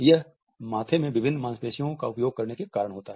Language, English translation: Hindi, Now, this is caused by using different muscles in the forehead